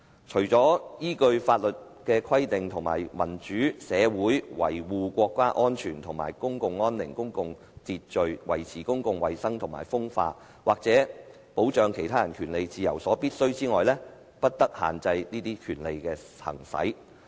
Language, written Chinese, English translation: Cantonese, 除依法律之規定，且為民主社會維護國家安全或公共安寧、公共秩序、維持公共衞生或風化、或保障他人權利自由所必要者外，不得限制此種權利之行使。, No restrictions may be placed on the exercise of this right other than those imposed in conformity with the law and which are necessary in a democratic society in the interests of national security or public safety public order ordre public the protection of public health or morals or the protection of the rights and freedoms of others